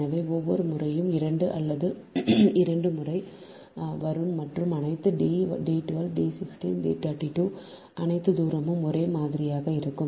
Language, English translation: Tamil, so every time, two or twice it is coming and all d one, two, d one, six, d three, two, all distance are same